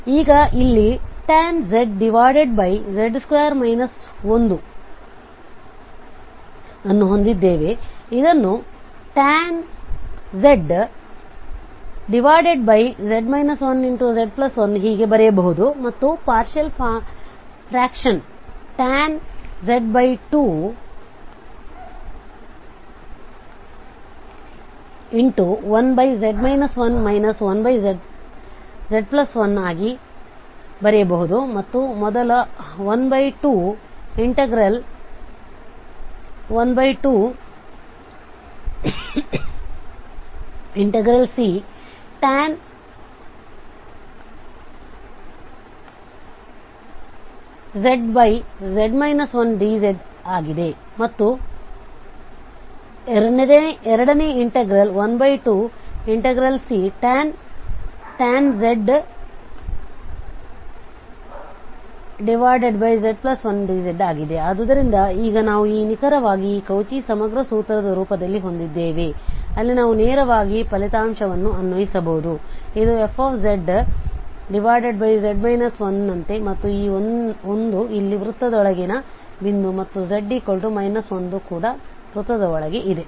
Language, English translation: Kannada, So here now we have tan z over z square minus 1 we can write z minus 1 and z plus 1 and then we can have this partial fraction of the two, 1 over z minus 1, 1 over z plus 1 and the half the first integral is tan z over minus 1 the second integral tan z over z plus 1, so now we have exactly in the form of this Cauchy integral formula where we can directly apply the result, this is like fz over z minus 1 and this 1 is exactly the point inside the circle here and z equal to minus 1 is also inside the circle